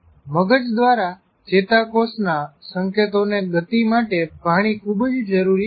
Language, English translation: Gujarati, Water is required to move neuronal signals through the brain